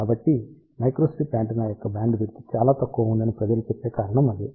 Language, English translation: Telugu, So, that is the reason majority of the time people say bandwidth of the microstrip antenna is relatively small